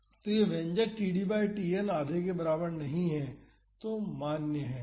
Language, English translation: Hindi, So, this expression is valid for td by Tn is not equal to half